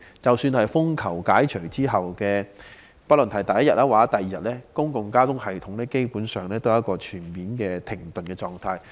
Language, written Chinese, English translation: Cantonese, 即使在風球信號解除後的第一二天，公共交通系統基本上仍處於全面停頓的狀態。, Even in the first two days after the Tropical Cyclone Warning Signal was no longer in force the public transportation system basically remained in a state of complete standstill